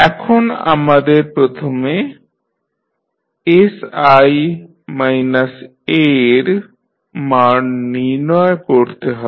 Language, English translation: Bengali, Now, first we need to find out the value of sI minus A